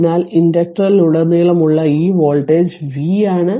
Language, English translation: Malayalam, So, this voltage across the inductor we have got say this is voltage say v this is voltage v right